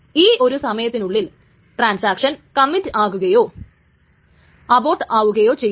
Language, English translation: Malayalam, And by that time the transaction is either committed or aborted